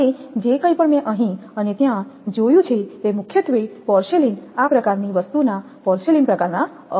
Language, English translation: Gujarati, Now whatever I have seen here and there they are mainly more mostly porcelain type of this thing porcelain made insulators